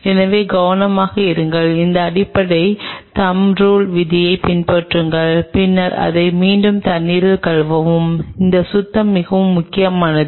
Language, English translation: Tamil, So, just be careful follow these basic thumb rules, then again wash it in water in running water and this cleaning is very critical